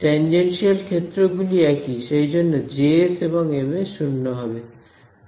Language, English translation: Bengali, Tangential fields are the same right, that is because these guys J s and M s are 0